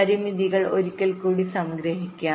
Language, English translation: Malayalam, let us summarize the constraints once more